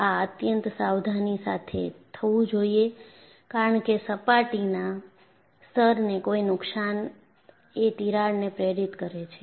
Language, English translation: Gujarati, This should be conducted with extreme caution since, damage to the surface layer may induce cracking